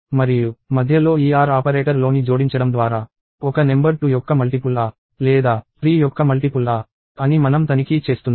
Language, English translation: Telugu, And by sticking in this OR operator in between, I am checking if a number is either a multiple of 2 or a multiple of 3